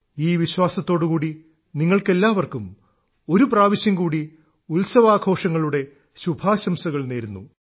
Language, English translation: Malayalam, With this very belief, wish you all the best for the festivals once again